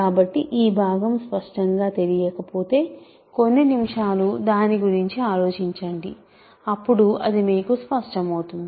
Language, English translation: Telugu, So, this part if it is not clear just think about it for a few minutes and it will become clear to you